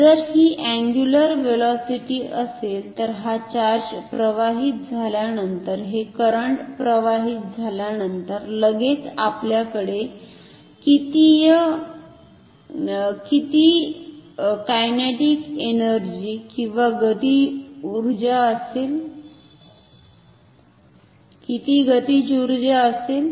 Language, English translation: Marathi, So, if this is the angular velocity then how much kinetic energy do we have immediately after this charge has flown this current has flown